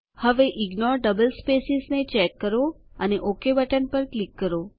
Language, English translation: Gujarati, Now put a check on Ignore double spaces and click on OK button